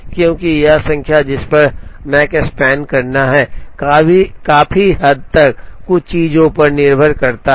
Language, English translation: Hindi, Because, this number, at which it completes the Makespan largely depends on a couple of things